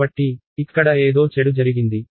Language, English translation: Telugu, So, something bad happened here